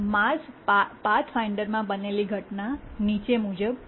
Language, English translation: Gujarati, Let's see what happened in the Mars Pathfinder